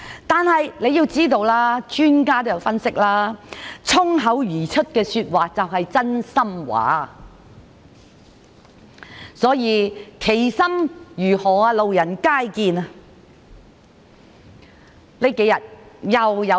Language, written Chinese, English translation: Cantonese, 但是，專家也有分析，衝口而出的說話便是真心話，所以，其心如何，路人皆見。, However according to expert analysis spontaneous remarks are honest statements . Thus his thoughts were obvious to all